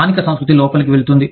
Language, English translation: Telugu, The local culture, does creep in